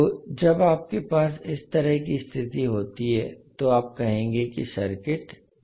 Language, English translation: Hindi, So when you have this kind of situation then you will say that the circuit is oscillatory